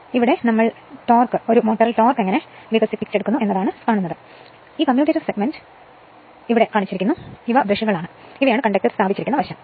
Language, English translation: Malayalam, Next is torque developed in a motor; so this is also that you are what you call this motion is given, this commutator segment, these are brushes and these are the conductor placed side